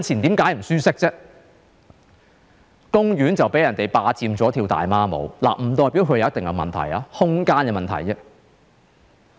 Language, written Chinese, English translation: Cantonese, 因為公園被人霸佔用作跳"大媽舞"，不代表它有問題，這只是空間的問題。, It was because their parks had been occupied by public square dancers . There is nothing wrong with public square dancing just that it is a matter of how space should be used